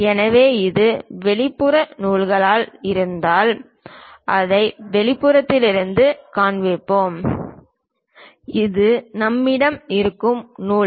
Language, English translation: Tamil, So, if it is external threads we show it from the external side this is the thread on which we have it